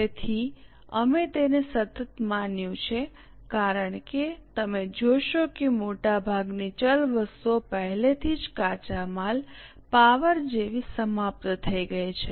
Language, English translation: Gujarati, So, we have assumed it to be constant because you will observe that most of the variable items are already over like raw material power